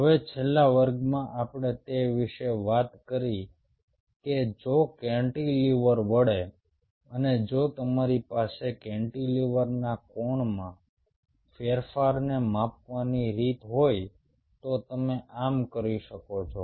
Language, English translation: Gujarati, now, in the last class we talked about that if the cantilever bends and if you have a way to measure the change in the angle of the cantilever, then you can do so